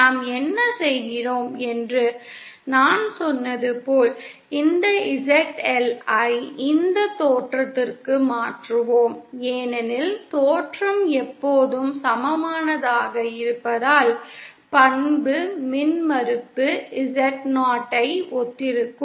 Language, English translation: Tamil, As I said what we are doing is we are transforming this ZL to this origin because origin is always equal to corresponds the characteristic impedance Z0